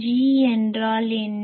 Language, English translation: Tamil, What is the G